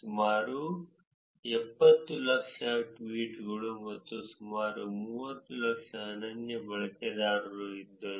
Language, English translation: Kannada, There were about 700,000 tweets and about 300,000 unique users